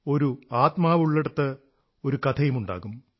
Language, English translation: Malayalam, 'Where there is a soul, there is a story'